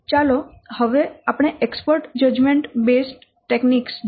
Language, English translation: Gujarati, We'll see first the expert judgment based techniques